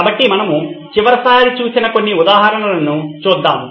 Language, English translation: Telugu, So let’s look at some of the examples we looked at last time